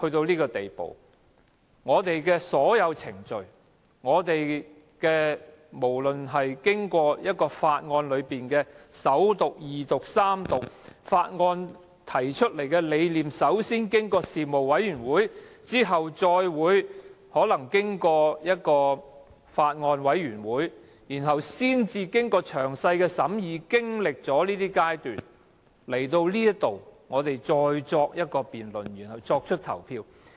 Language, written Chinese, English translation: Cantonese, 主席，我們的議會發展至今時今日，法案均須經過首讀、二讀及三讀，法案提出後要通過事務委員會，再通過法案委員會，經過詳細審議及各個階段才提交本會，經議員辯論後作出表決。, As a result of the development of the Council to date President a bill now has to go through the First Second and Third Readings being subjected to detailed scrutiny at different stages after submission first by the relevant panel and then by a Bills Committee before making its way to the Council and being voted upon after a debate by Members